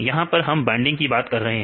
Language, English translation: Hindi, So, here we are talking about the binding